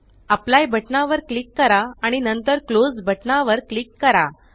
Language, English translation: Marathi, Now click on the Apply button and then click on the Close button